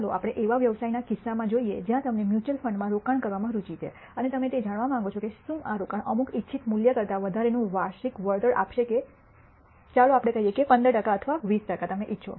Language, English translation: Gujarati, Let us look at a business case where you are interested in investing in a mutual fund and you want to know whether this investment will yield a certain annual return greater than some desired value let us say 15 percent or 20 percent that you might want